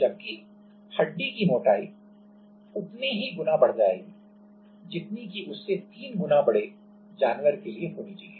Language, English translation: Hindi, Whereas, the thickness of the bone will be enlarge by the same amount what it is required for a 3 times larger animal